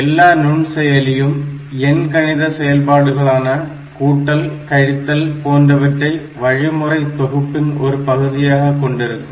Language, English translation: Tamil, So, every microprocessor has arithmetic operations such as add, subtract as part of it is instruction set